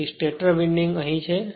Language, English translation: Gujarati, So, stator windings are here